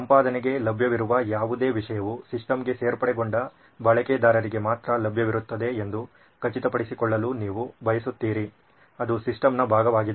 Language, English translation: Kannada, You want to ensure that whatever content is available for editing is only available to the users that have been added into the system, that are part of the system